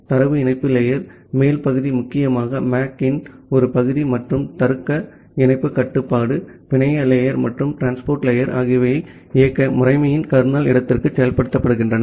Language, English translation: Tamil, Whereas the upper part of the data link layer mainly a part of the MAC and the logical link control, the network layer and the transport layer they are implemented inside the kernel space of operating system